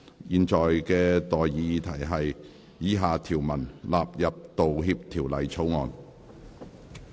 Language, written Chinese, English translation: Cantonese, 現在的待議議題是：以下條文納入《道歉條例草案》。, I now propose the question to you and that is That the following clauses stand part of the Apology Bill